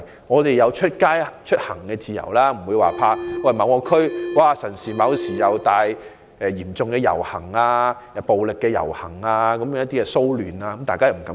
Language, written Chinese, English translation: Cantonese, 我們也要有出行的自由，不會因為擔心某地區可能有大型遊行、暴力或騷亂事件而不敢外出。, Similarly we should also have the freedom to move about in this city and we should not be afraid of going out for fear that there will be large scale processions violence or riots in certain districts